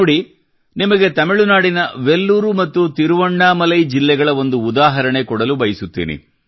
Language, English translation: Kannada, Take a look at Vellore and Thiruvannamalai districts of Tamilnadu, whose example I wish to cite